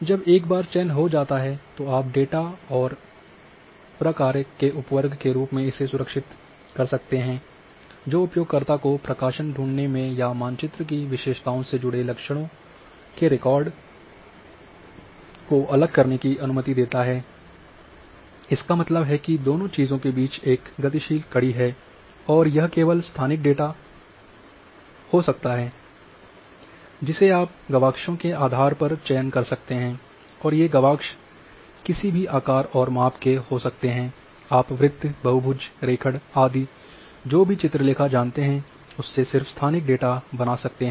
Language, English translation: Hindi, Once they have selected you can save as a subset of the data and function that allows a user to find display or isolate attributes records linked to map features; that means, there is a dynamic link between both things and this can be a only spatial data you can select you can make selections based on windows and these windows can be of any shape and sizes you can have circles polygons trace whatever the you know graphics which you can draw only spatial data